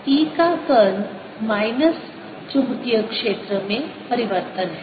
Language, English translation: Hindi, curl of e is minus change in the magnetic field